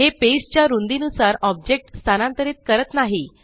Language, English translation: Marathi, It does not move the object with respect to the page width